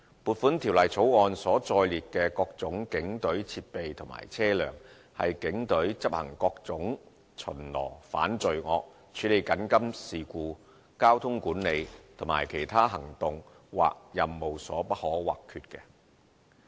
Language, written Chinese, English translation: Cantonese, 撥款條例草案所載列的各種警隊設備和車輛，是警隊執行各種巡邏、反罪惡、處理緊急事故、交通管理和其他行動或任務所不可或缺的。, The various items of equipment and vehicles listed in the Appropriation Bill are indispensible to the Police for patrolling implementing anti - crime initiatives handling emergencies managing traffic and undertaking other operations or duties